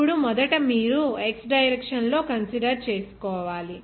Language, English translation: Telugu, Now, first you considered in x direction